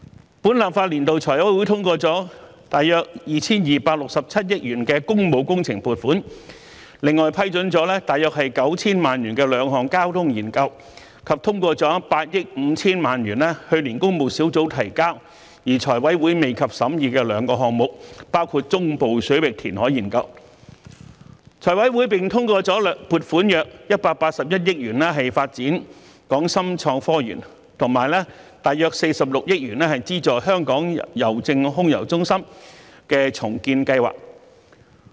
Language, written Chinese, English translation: Cantonese, 在本立法年度，財務委員會通過了約 2,267 億元的工務工程撥款，另外批出約 9,000 萬元進行兩項交通研究，以及通過費用為8億 5,000 萬元由工務小組委員會於去年提交而財委會未及審議的兩個項目，包括中部水域人工島相關研究；此外，財委會通過撥款約181億元發展港深創新及科技園，以及約46億元資助香港郵政空郵中心的重建計劃。, In this legislative session the Finance Committee FC has approved funds totalling around 226.7 billion for public works projects another 90 million for conducting two traffic studies and 850 million for two projects awaiting the vetting and approval by FC after being submitted by the Public Works Subcommittee last year including the studies related to the artificial islands in Central Waters . In addition FC has approved funds to the tune of around 18.1 billion for developing the Hong Kong - Shenzhen Innovation and Technology Park and around 4.6 billion for subsidizing the redevelopment of the Air Mail Centre of Hongkong Post